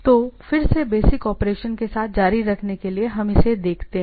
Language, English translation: Hindi, So, again to continue with the basic operation